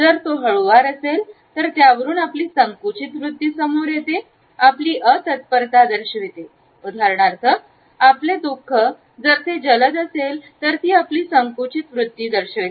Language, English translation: Marathi, If it is slow then it suggest our hesitation, our lack of preparedness, our sorrow for instance, if it is fast it can easily indicate our hesitation